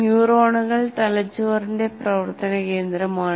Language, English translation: Malayalam, Neurons are functioning core of the brain